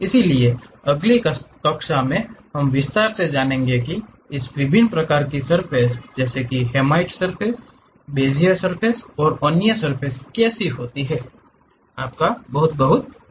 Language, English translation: Hindi, So, in the next class we will in detail learn about these different kind of surfaces like hermite, Bezier and other surfaces